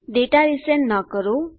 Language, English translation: Gujarati, Dont resend the data